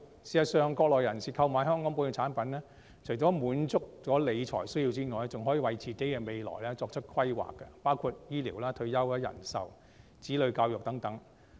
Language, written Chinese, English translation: Cantonese, 事實上，國內人士購買本地產品，除了滿足理財需要之外，還可以為未來作出規劃，包括醫療、退休、人壽、子女教育等。, In fact by buying Hong Kong products Mainlanders cannot just meet their needs for financial management but also make future plans for health care retirement life insurance childrens education and so on